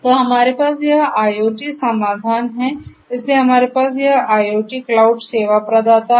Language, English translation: Hindi, So, let us say that we have this IIoT solution, so we have this IIoT cloud service provider cloud provider right